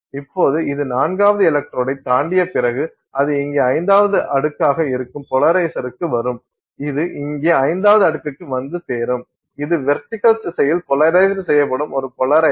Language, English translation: Tamil, So now after it crosses the fourth electrode it will come to the polarizer which is the fifth layer here it arrives at the fifth layer here which is a polarizer which is polarized in the vertical direction